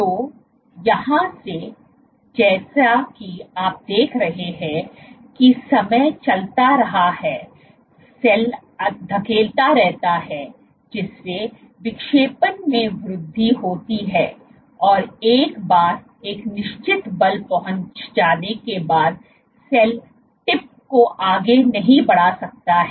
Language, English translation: Hindi, So, from here as of, what you see is as time goes on the cell keeps pushing and pushing which leads to increase of the deflection and once a certain force is reached the cell can’t push the tip anymore